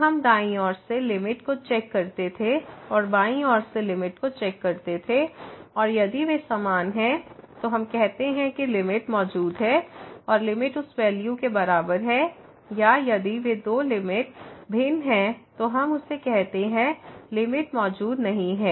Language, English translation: Hindi, So, we used to check the limit from the right side and limit from the left side and if they are equal, then we say that the limit exist and limit is equal to that value or if those two limits are different then, we call that the limit does not exist